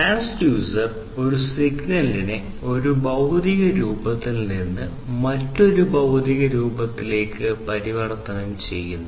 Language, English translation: Malayalam, So, transducer basically is something that converts the signal in one form into a signal in another form